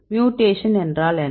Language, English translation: Tamil, So, what is mutation